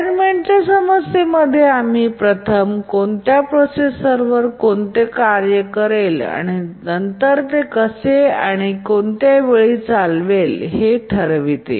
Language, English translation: Marathi, In the assignment problem, we first decide which task will run on which processor and then how or what time will it run